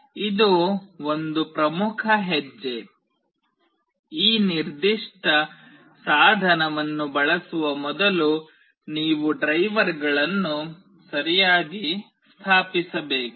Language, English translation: Kannada, This is an important step; prior to using this particular device that you need to install the drivers properly